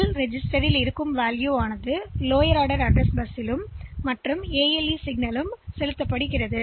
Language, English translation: Tamil, L register value is put on to the lower order address bus, and the ALE signal is given